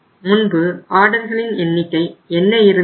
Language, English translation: Tamil, What was our order size earlier